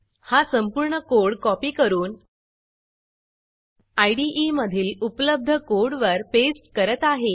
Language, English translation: Marathi, I will copy the entire code on my clipboard and paste it over the existing code in the IDE